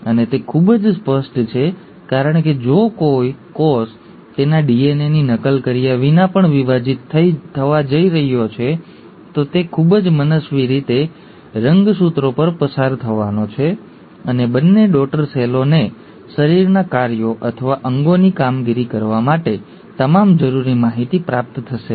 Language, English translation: Gujarati, And it is very obvious because if a cell without even duplicating its DNA is going to divide, it is just going to pass on the chromosomes in a very arbitrary fashion and the two daughter cells will not receive all the necessary information to do the body functions or the organelle function